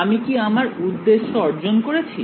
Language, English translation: Bengali, Is my objective achieved